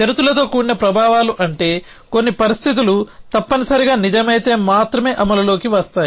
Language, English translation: Telugu, So, conditional effects are effects which are which come in to force only if certain conditions are true essentially